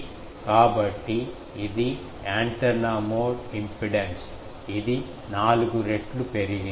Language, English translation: Telugu, So, this is the a that antenna mode impedance that is stepped up by four fold